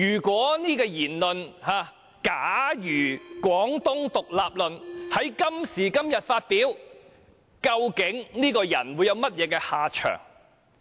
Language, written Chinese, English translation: Cantonese, 假如"廣東獨立論"在今時今日發表，究竟這個人會有甚麼下場？, If the Guangdong independence theory was advanced today what would happen to this person?